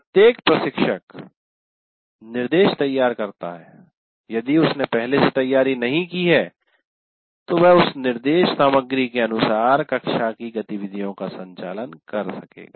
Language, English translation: Hindi, Now, every instructor prepares instruction material if he is already prepared, he will be conducting the classroom activities according to that instruction material